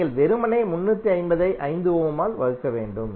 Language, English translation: Tamil, You have to simply divide 350 by 5 ohm